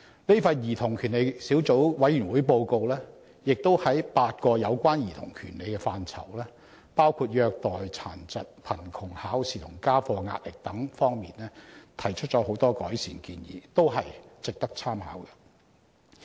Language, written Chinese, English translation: Cantonese, 這份兒童權利小組委員會的報告亦在8個有關兒童權利的範疇，包括虐待、殘疾、貧窮、考試及家課壓力等方面提出了許多改善建議，均值得當局參考。, The Report of the Subcommittee on Childrens Rights makes many improvement recommendations in eight aspects relating to childrens rights including abuse disabilities poverty examination and schoolwork stress which all merit reference drawn by the Government